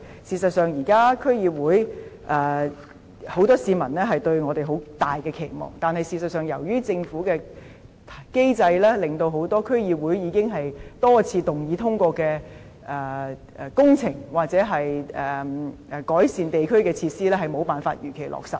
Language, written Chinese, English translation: Cantonese, 事實上，現時很多市民對我們區議會抱有很大期望，但由於政府的機制，令很多區議會已經多次通過進行工程或改善地區設施的動議無法如期落實。, In fact many members of the public have high expectation for our DCs but under the Governments mechanism many motions on the implementation of projects or the improvement of local facilities passed by DCs could not be implemented as scheduled